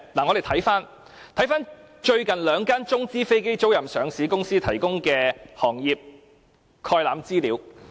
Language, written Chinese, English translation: Cantonese, 我們且看看兩間中資飛機租賃上市公司，最近提供的行業概覽資料。, Let us look at the market overview provided by two publicly - listed Chinese - financed aircraft leasing companies